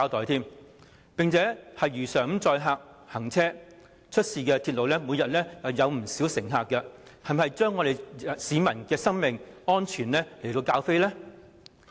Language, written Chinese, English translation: Cantonese, 西鐵線如常載客行車，每天接載大量乘客，港鐵公司是否把市民的生命安全置之不理？, The West Rail Line has operated as usual to carry thousands of passengers every day . Is this a disregard for the safety of the public?